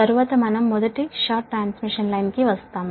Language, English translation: Telugu, next we will come first short transmission line